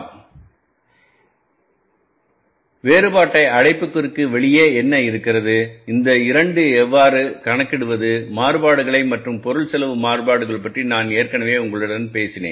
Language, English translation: Tamil, So, you can find out the basic difference is that what is inside the bracket, what is outside the bracket and how to calculate these two variances and about the material cost variance I have already talked to you